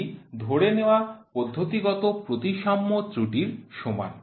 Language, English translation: Bengali, It is equal to the assumed symmetric systematic error